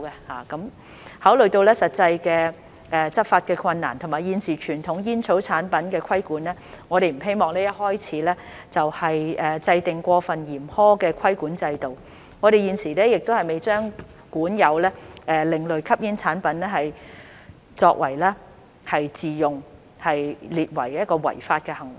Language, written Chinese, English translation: Cantonese, 考慮到實際的執法困難，以及現時傳統煙草產品的規管，我們不希望一開始就制訂過分嚴苛的規管制度，我們現時亦未把管有另類吸煙產品作自用列為違法行為。, In view of the practical difficulties in enforcement and the current regulation of conventional tobacco products we do not wish to begin with an overly stringent regime and the possession of ASPs for self use has not been made illegal